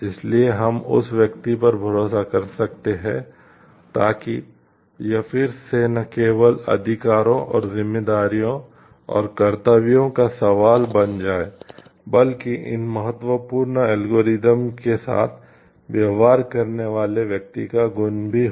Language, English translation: Hindi, So, that we can trust that person so this again becomes a question of not only rights, and responsibilities and duties, but the virtuous nature of the person who is dealing with these important algorithms